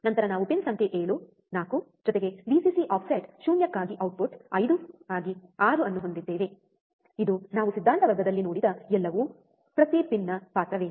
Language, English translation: Kannada, Then we have pin number 7 4 plus Vcc 6 for output 5 for offset null, this everything we have seen in the theory class, right what is the role of each pin